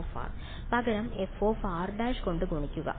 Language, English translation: Malayalam, Multiply by f of r prime instead